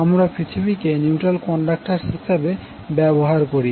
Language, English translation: Bengali, We use earth as a neutral conductor